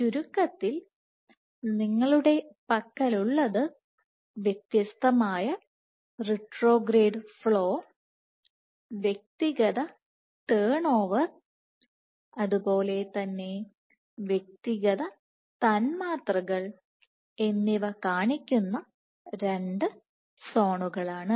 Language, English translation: Malayalam, So, in short what you have is two zones which exhibit distinct retrograde flow, distinct turnover and also are molecularly distinct